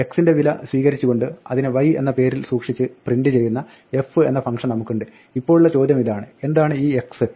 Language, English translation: Malayalam, Here we have a function f which reads the values x and prints it by storing it in the name y, Now the question is: what is this x